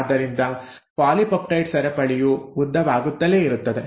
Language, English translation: Kannada, This polypeptide chain; so let us say this is now the polypeptide chain